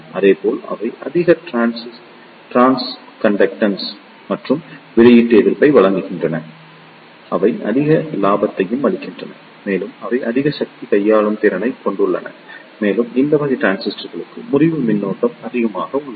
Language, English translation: Tamil, Similarly, they provide high trans conductance and output resistance, they also provide higher gain and they have high power handling capability and the breakdown voltages also high for these type of transistors